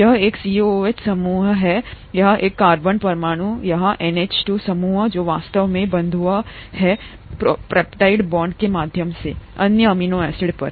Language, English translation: Hindi, This has a COOH group here this carbon atom; the NH2 group here which is actually bonded on through the peptide bond to the other amino acid